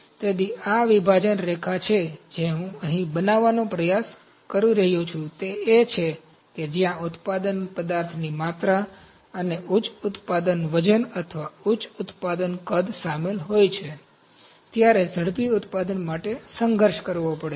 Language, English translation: Gujarati, So, this is the dividing line that point I am trying to make here is that where high material volumes, and high product weight or high production volumes are involved rapid manufacturing has to struggle